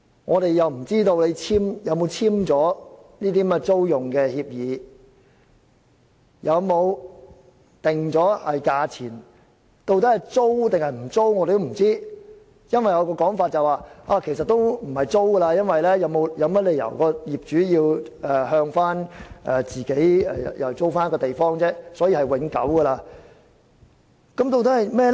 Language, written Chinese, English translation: Cantonese, 我們又不知道雙方有否簽訂租用協議、有否訂定價錢等，究竟是租還是不租，我們也不知道，因為有人說其實也不會透過租用的方式進行，因為業主沒有理由要向租戶租用地方，所以是永久的。, Besides we have no idea whether a lease has been signed between the two sides whether the rent has been determined and so on and we do not know whether they are going to lease it or not lease it because some people said that this will not be done by way of a lease for there is no reason for the landlord to rent the place from his tenant and so the use of the place will be permanent